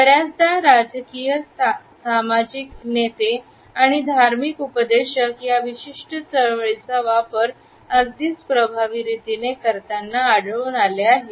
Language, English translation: Marathi, We often find social leaders, political leaders and religious preachers using this particular movement in a very effective manner